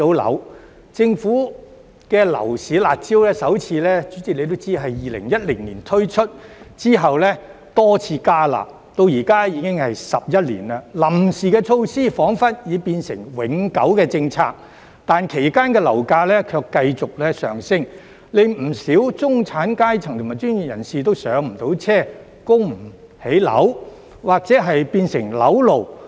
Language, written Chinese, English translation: Cantonese, 代理主席也知道，政府的樓市"辣招"首次於2010年推出，之後多次"加辣"，至今已經11年，臨時措施彷彿已變成永久政策，但其間樓價卻繼績上升，令不少中產階層及專業人士都無法"上車"、供不起樓或變成"樓奴"。, Deputy President is also aware that the Governments harsh measures for the property market were first introduced in 2010 and have been tightened up many times . Eleven years have passed since then and the temporary measures seem to have become permanent policies . However during this period property prices keep rising making many middle - class people and professionals unable to get on the housing ladder unable to afford their mortgage payments or become mortgage slaves